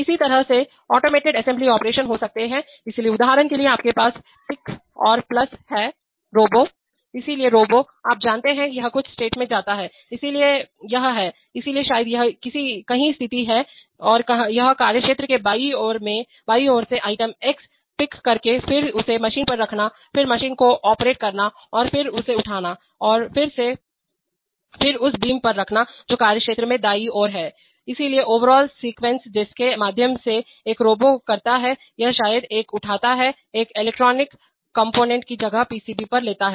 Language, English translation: Hindi, Similarly there could be automated assembly operations, so for example you have a pick and place Robo, so the Robo, you know, it goes to certain states, so it is, so maybe it is situated somewhere and it is going to the picking up item X from the left hand side of the workspace then putting it on the machine then operating the machine then again picking it up, then and then putting it on the beam which is on the right side of the workspace, so the overall sequence through which a robo goes or maybe picks a, picks an electronic component places it on the PCB